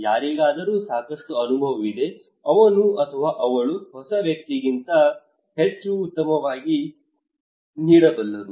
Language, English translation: Kannada, Somebody has lot of experience he or she can deliver much better than a new person a fresh person